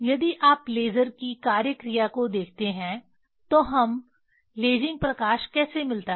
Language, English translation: Hindi, If you if you see the action function of the laser how we get the lasing light